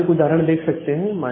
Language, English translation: Hindi, So, here is one example